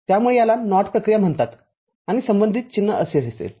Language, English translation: Marathi, So, it is called NOT operation and the corresponding symbols is like this